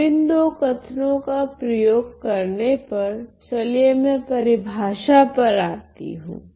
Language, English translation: Hindi, So, which means let me now using these two statements, let me come to the definitions